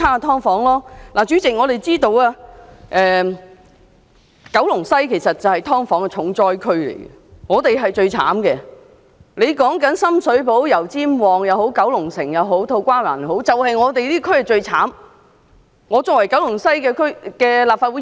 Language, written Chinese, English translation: Cantonese, 代理主席，九龍西區其實是"劏房"重災區，無論是深水埗、油尖旺、九龍城還是土瓜灣，"劏房"問題都比其他地區嚴重。, Deputy President Kowloon West is actually the district hardest hit by the problem of subdivided units with Sham Shui Po the district of Yau Tsim Mong Kowloon City and To Kwa Wan each having more serious problems in subdivided units than any other area